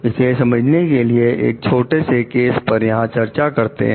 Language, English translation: Hindi, Let us understand it with a small case over here